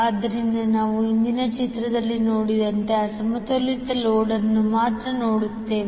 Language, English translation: Kannada, So we will see only the unbalanced load as we saw in the previous figure